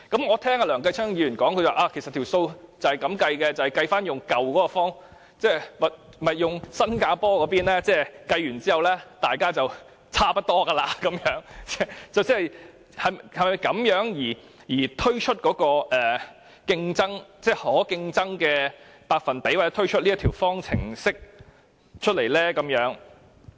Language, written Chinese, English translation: Cantonese, 我聽到梁繼昌議員發言，指出如果按新加坡的計算方式得出數字，其實大家便會差不多，政府是否因此而推算出這個可競爭百分比或推算出這條方程式呢？, I heard Mr Kenneth LEUNG say in his speech that if we followed Singapores computation method the outcome would be something like the percentage mentioned above . Is it why the Government has come to project that the above mentioned percentage is a competitive one or is it why it has come up with the formula?